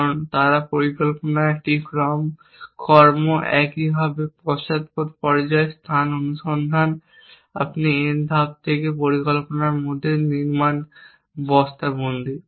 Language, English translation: Bengali, Because they are plan is a sequence actions likewise in the backward stage space search you sack construct in the plan from n steps